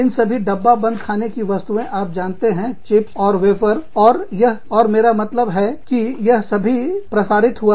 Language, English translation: Hindi, All these, packeted foods, you know, chips, and wafers, and this, and that, i mean, all of this, has percolated